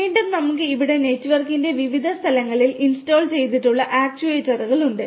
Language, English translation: Malayalam, Again, we here have actuators which are installed at different locations of the network